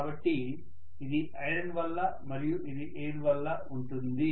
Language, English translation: Telugu, So this is due to iron and this is due to air, right